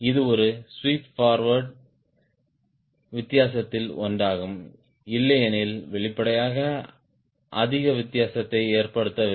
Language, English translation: Tamil, this is one of the defense for a forward sweep, because otherwise apparently didn't make much of a difference